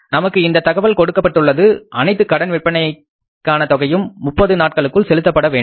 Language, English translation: Tamil, It is given to us that sales are on credit and the credit period, all sales are on credit payable within 30 days